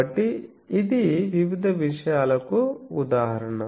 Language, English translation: Telugu, So, this is a example of various a things